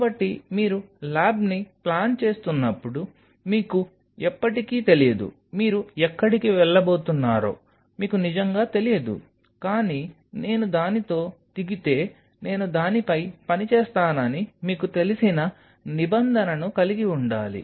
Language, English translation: Telugu, So, you never know when you are planning a lab you really do not know where you are going to land up with, but you have to have a provision that you know if I land up with it I will be working on it